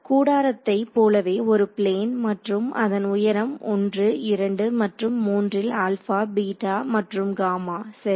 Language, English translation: Tamil, A plane like a like a tent again like a tent and the height of the stand at 1 2 and 3 is alpha beta gamma right